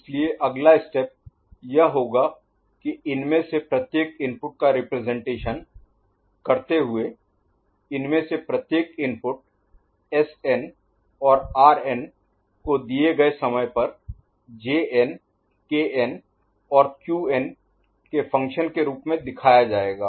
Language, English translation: Hindi, So, next step would be that representing each of these inputs, each of these inputs Sn and Rn at a given time as a function of Jn, Kn and Qn ok